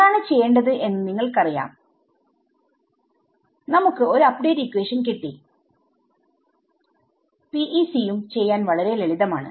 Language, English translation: Malayalam, You know what to do we get an update equation and PEC also very simple to do ok